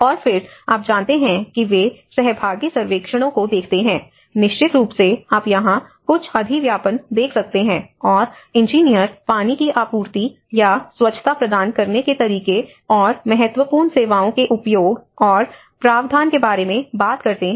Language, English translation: Hindi, And then you know they look at the participatory surveys, of course you can see some overlap here, and the engineers talk about the access and the provision of key vital services, how the water supply or sanitation has to be provided